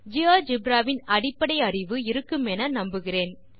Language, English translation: Tamil, We assume that you have the basic working knowledge of Geogebra